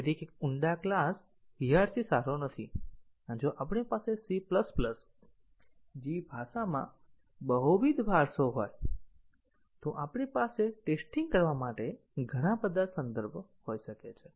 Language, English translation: Gujarati, So, a deep class hierarchy is not good and also if we have multiple inheritances as in a language such as C++, then we might have too many contexts to test